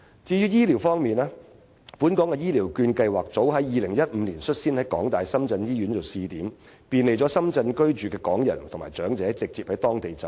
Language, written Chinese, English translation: Cantonese, 至於醫療方面，本港的醫療券計劃早在2015年率先在香港大學深圳醫院作為試點，便利在深圳居住的港人和長者直接在當地就醫。, As for health care the designation of the University of Hong Kong - Shenzhen Hospital as the first trial place for Hong Kongs Health Care Voucher Scheme as early as 2015 has made it more convenient for Hong Kong people and elderly persons living in Shenzhen to seek direct medical treatment there